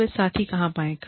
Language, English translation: Hindi, So, where do they find partners